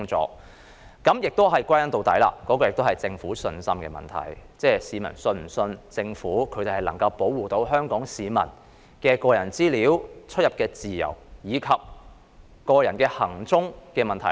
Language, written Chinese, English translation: Cantonese, 歸根究底，這同樣是對政府有否信心的問題，即市民是否相信政府能夠保護香港市民的個人資料、出入自由，以及個人行蹤資料。, All such concerns likewise stem from the very question of confidence in the Government meaning the question of whether people believe that the Government can protect the personal data freedom of movement and personal movement data of Hong Kong people